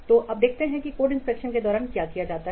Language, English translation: Hindi, So now let's see what is performed during code inspection